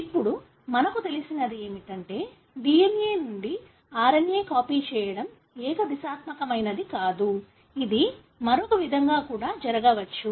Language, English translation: Telugu, So, what we know now is that the DNA to RNA copying is not unidirectional; it can happen the other way too